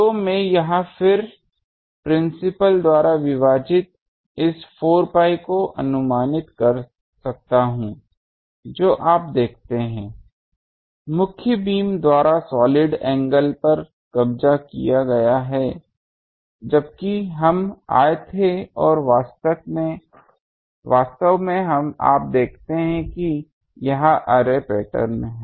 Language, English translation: Hindi, So, here again I can approximate this 4 pi divided by principal you see; solid angle occupied by main beam now while we came and actually you see our this is the array pattern